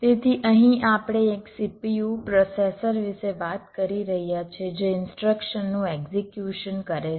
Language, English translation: Gujarati, so here we are talking about a cpu, a processor which is executing instructions